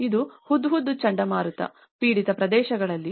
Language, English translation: Kannada, This is on the Hudhud cyclone affected areas